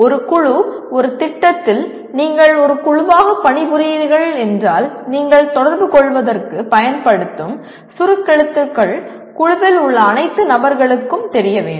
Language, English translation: Tamil, A group of, in a project if you are working as a group, then the language the acronyms that you use for communicating they are known to all the persons in the group